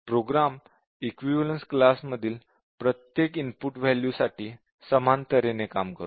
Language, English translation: Marathi, So, the program behaves in a similar way for every input value belonging to an equivalence class